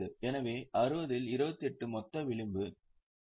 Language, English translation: Tamil, So, 28 upon 60, the gross margin is 46